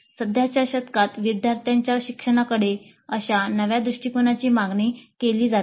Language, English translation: Marathi, The present century seems to demand such novel approaches to student learning